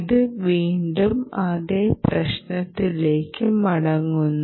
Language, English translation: Malayalam, right, it goes back to the same problem